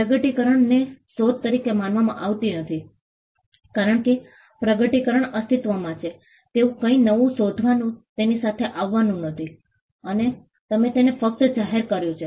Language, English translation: Gujarati, Discoveries are not regarded as inventions because discoveries do not lead to inventing or coming up with something new something existed, and you merely revealed it